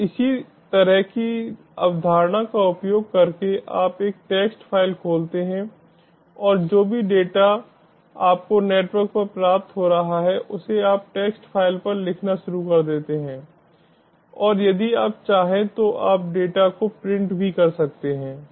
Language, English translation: Hindi, so, using that similar concept, you open a text file and whatever data you are receiving over the network, you start writing to the text file, as well as, if you want, you can keep one printing the data also